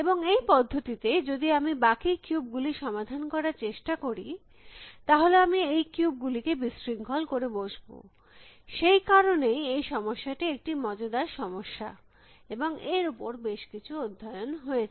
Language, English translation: Bengali, And in the process, if I am trying to solve the rest of the cube, I end up disturbing this cubes that is why, this problem is an interesting problem and has been given quite a bit of a study